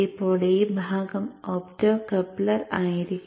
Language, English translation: Malayalam, Now this portion will be the optocopter